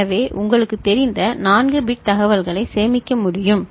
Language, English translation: Tamil, So, 4 bit you know, information can be stored